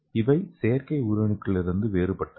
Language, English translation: Tamil, And this is the cells in the artificial cells